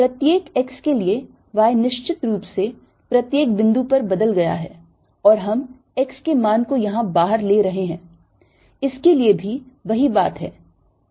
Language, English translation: Hindi, right, for each x, y has definitely changed at each point and we are taking the x value to be out here